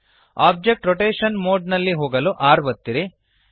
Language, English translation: Kannada, Press R to enter the object rotation mode